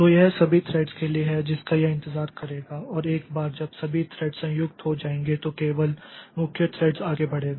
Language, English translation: Hindi, So, it is for all the threads it will wait and once it is all the threads have joined then only the main thread will proceed